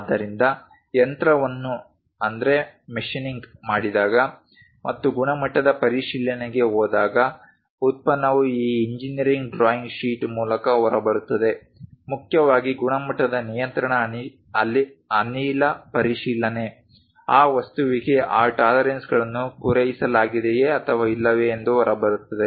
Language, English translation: Kannada, So, when machining is done and perhaps product comes out through this engineering drawing sheet, when it goes to quality check mainly quality control gas check whether this tolerances are met or not for that object